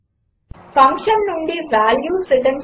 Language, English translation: Telugu, Then Return values from a function